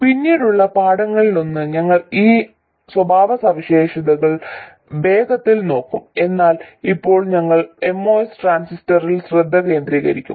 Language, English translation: Malayalam, In one of the later lessons we will quickly look at those characteristics but now we will concentrate on the MOS transistor